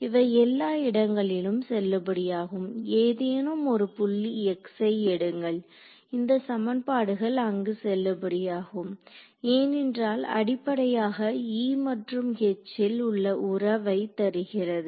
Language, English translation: Tamil, It is valid everywhere take any point x this equation should be valid because basically it is giving me the relation between E and H right